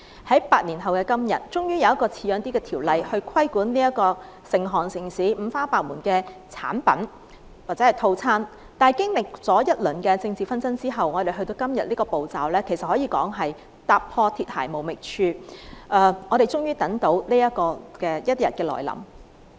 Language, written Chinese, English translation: Cantonese, 在8年後的今天，終於有一項比較像樣的條例規管成行成市、五花八門的美容產品或套餐，但經歷一輪政治紛爭之後，我們才到了今天這個程序，可說是踏破鐵鞋無覓處，我們終於等到這一天來臨。, Thanks to the help of Members we managed to complete the scrutiny of the Bill . After eight years today we finally have a relatively proper ordinance to regulate all sorts of beauty products and treatment packages that have become so common in the market . But we have to go through a round of political contention before we can reach this procedure today